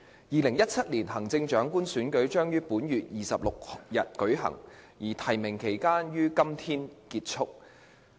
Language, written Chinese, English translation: Cantonese, 2017年行政長官選舉將於本月26日舉行，而提名期將於今天結束。, The 2017 Chief Executive Election will be held on the 26th of this month and the nomination period will end today